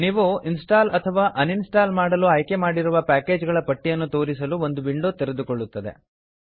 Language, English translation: Kannada, A window will open which will list the number of packages you have chosen to install or uninstall